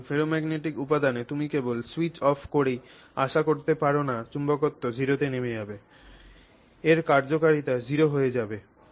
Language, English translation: Bengali, So, with the ferromagnetic material you cannot just switch off the current and expect it to drop to zero